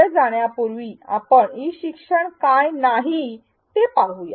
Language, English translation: Marathi, Before we continue any further, let us see what is not E learning